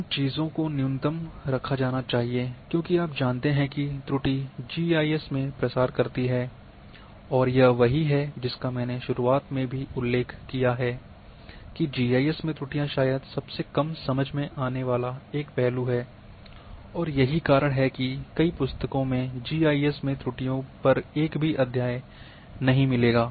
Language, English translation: Hindi, Those things should be kept at minimum, because you know error propagates in GIS and this is what I have also in the beginning I mentioned that errors in GIS are perhaps the one of the least understood aspect that is why in literature you would in many books on GIS will not having a chapter on errors in GIS